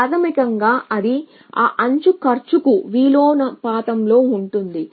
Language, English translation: Telugu, Basically it is inversely proportion to cost of that edge